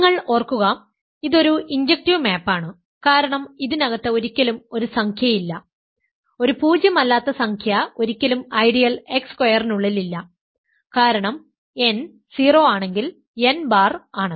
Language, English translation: Malayalam, Remember that once you have any; so, this is an injective map because an integer is never inside; a nonzero integer is never inside the ideal x squared because if n goes to 0 if n bar